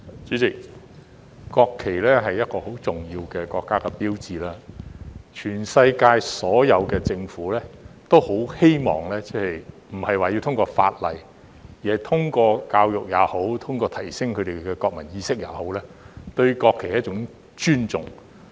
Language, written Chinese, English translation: Cantonese, 主席，國旗是很重要的國家標誌，全世界所有的政府也很希望，並非一定是通過法例，而是通過教育也好、通過提升市民的國民意識也好，令市民尊重國旗。, President the national flag is a very important national symbol and all governments around the world want to make people respect it not necessarily through laws but through education and by raising their sense of national identity